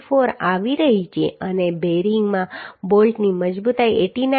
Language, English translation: Gujarati, 294 and strength of bolt in bearing is 89